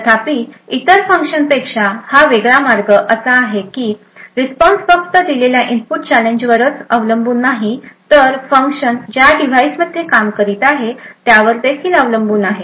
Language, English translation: Marathi, However, the way it is different from other functions is that the response not only depends on the input challenge that is given but also, on the device where the function is executing in